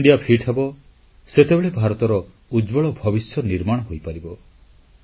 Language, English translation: Odia, When India will be fit, only then India's future will be bright